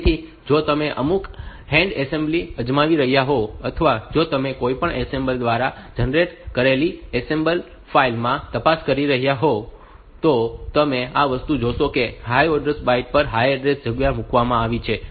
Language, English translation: Gujarati, So, if you are doing trying out some hand assembly, or if you are looking into the assembled file generated by any assembler, you will see these things that the higher order byte has been put in the higher order address space for this thing